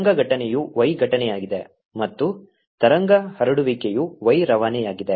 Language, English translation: Kannada, the wave incident is y incident and wave transmitted is y transmitted